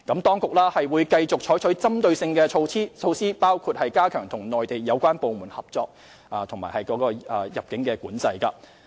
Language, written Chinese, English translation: Cantonese, 當局會繼續採取針對性的措施，包括加強與內地有關部門合作及入境管制。, The authorities will continue to adopt targeted measures including strengthening cooperation with the relevant Mainland departments and stepping up immigration control